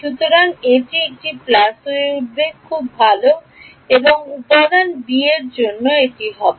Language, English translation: Bengali, So, this will become a plus very good and in element b this will become